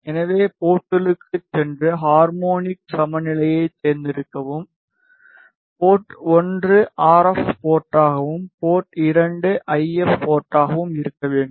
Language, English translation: Tamil, So, go to ports select harmonic balance, port 1 to be the RF port and port 2 should be the IF port